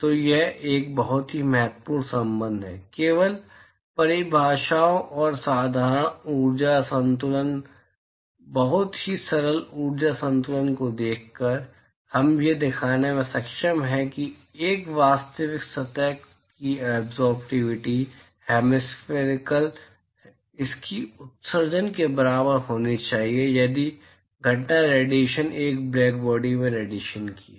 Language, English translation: Hindi, So, it is a very, very important relationship; simply by looking at the definitions and a simple energy balance, very simple energy balance, we are able to show that the absorptivity hemispherical absorptivity of a real surface should be equal to its emissivity if the incident irradiation is that of a black body radiation